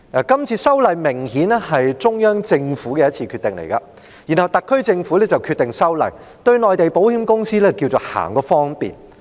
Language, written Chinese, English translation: Cantonese, 今次修例，明顯是中央政府的決定，然後特區政府便決定修例，對內地保險公司行個方便。, This legislative amendment exercise is obviously prompted by the Central Governments decision which the SAR Government subsequently decided to carry out to do Mainland insurance companies a favour